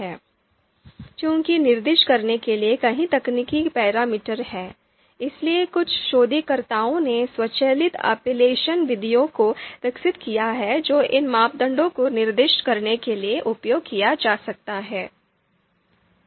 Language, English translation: Hindi, And now you know since there are a number of numerous technical parameters are to be specified, therefore certain researchers have developed automatic elicitation methods which could be used to actually specify these parameters